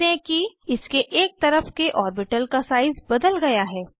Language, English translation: Hindi, Notice that the size of the orbital alongside, has changed